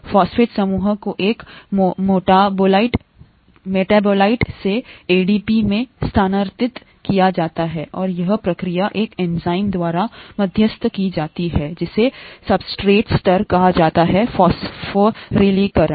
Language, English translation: Hindi, The phosphate group is transferred from a metabolite to ADP and is, the process is mediated by an enzyme, that’s what is called substrate level phosphorylation